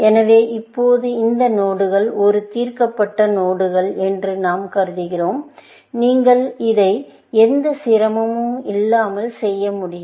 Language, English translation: Tamil, So, now, we are assuming that this node is a solved node, in the sense, that you can do this without any difficulty